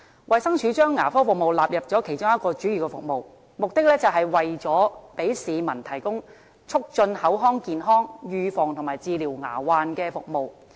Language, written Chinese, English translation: Cantonese, 衞生署將牙科納入其主要服務項目之一，旨在為市民提供促進口腔健康、預防及治療牙患的服務。, DH has incorporated dental service as one of its main service items with the aim of providing a range of promotive preventive and curative services to the community